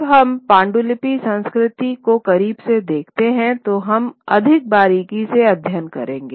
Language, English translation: Hindi, When we look at manuscript culture more closely, we will study it at greater detail